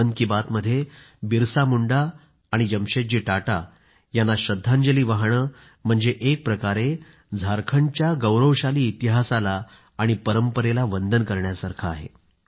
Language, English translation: Marathi, Paying tributes to BirsaMunda and Jamsetji Tata is, in a way, salutation to the glorious legacy and history of Jharkhand